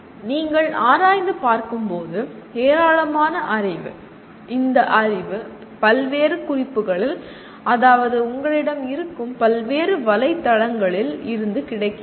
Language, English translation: Tamil, When you explore, there is a tremendous amount of knowledge that is available in various notes that means various websites that you will have